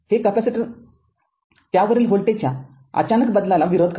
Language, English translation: Marathi, The capacitor resist and abrupt change in voltage across it